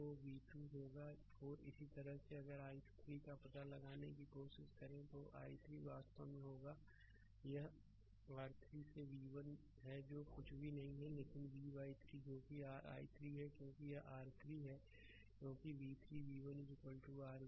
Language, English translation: Hindi, So, it will be v 2 by 4 right similarly if you try to your find out i 3, i 3 will be actually is equal to it is v 1 by your 3 that is nothing, but v by 3 that is your i 3 because this is your i 3 right because v 3 v 1 is equal to your v